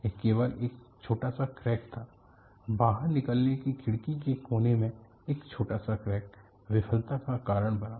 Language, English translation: Hindi, It was only a small crack; a small crack in the corner of an escape latch window has caused the failure